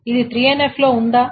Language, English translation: Telugu, Is this in 3NF